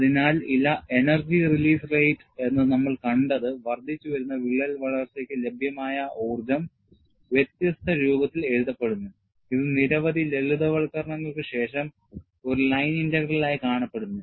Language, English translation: Malayalam, So, what we had seen as energy release rate, what is the energy available for an incremental crack growth, is written in a different form, which appears as a line integral, after several simplifications